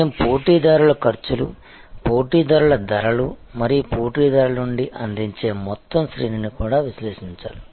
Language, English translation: Telugu, We also have to analyze the competitors costs, competitors prices and the entire range of offering from the competitors